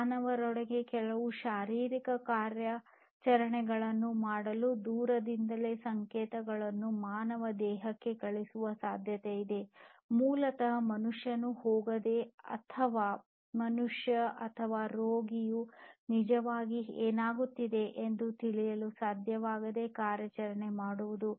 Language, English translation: Kannada, So, it is now possible that remotely you could send signals to the human body to perform certain physiological operations within a human, without basically having the human go through or rather the human being or the patient being able to know what is actually happening